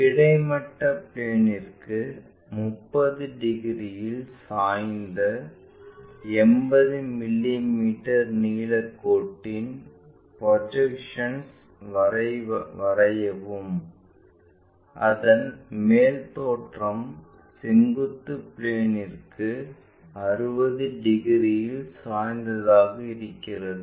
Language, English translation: Tamil, Draw the projections of a line 80 mm long inclined at 30 degrees to horizontal plane and its top view appears to be inclined at 60 degrees to vertical plane